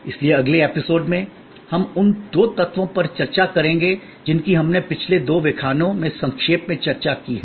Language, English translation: Hindi, And so in the next episode, we will take up the different elements that we have discussed in the last 2 lectures in short